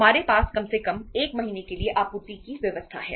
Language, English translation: Hindi, We have supply arrangements at least for 1 month